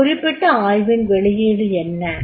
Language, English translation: Tamil, What is the output of that particular analysis